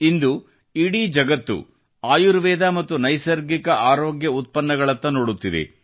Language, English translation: Kannada, Today the whole world is looking at Ayurveda and Natural Health Products